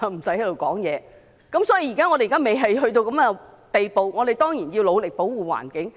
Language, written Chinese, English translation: Cantonese, 所以，既然現在未出現這種情況，我們當然要努力保護環境。, So since this has not happened yet we certainly have to work hard to protect the environment